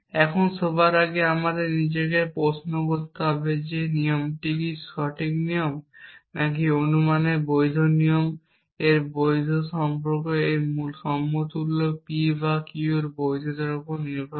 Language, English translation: Bengali, Now, first of all we must ask ourselves is this rule a sound rule or a valid rule of inference and its validity is based on a validity of this equivalence P or Q